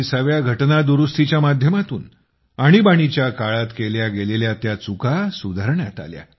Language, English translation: Marathi, Whereas, through the 44th Amendment, the wrongs committed during the Emergency had been duly rectified